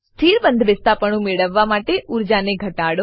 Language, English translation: Gujarati, * Minimize the energy to get a stable conformation